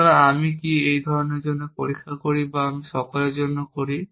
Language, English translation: Bengali, So, do I check for one sort or do I do for all